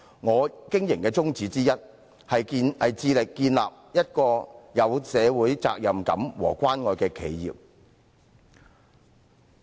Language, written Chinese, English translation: Cantonese, 我經營的宗旨之一，是致力建立一個有社會責任感和關愛的企業。, One of the objectives of my practice is to strive to establish a caring enterprise having a sense of social responsibility